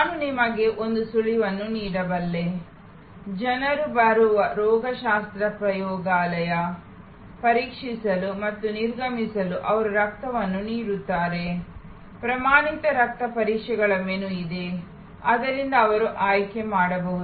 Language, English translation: Kannada, I can give you a hint like for example, pathology lab where people are coming in, giving their blood for testing and exiting, there is a menu of standard blood tests from which they can select